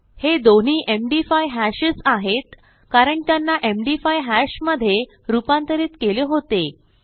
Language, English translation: Marathi, These are both md5 hashes because we converted them into an md5 hash earlier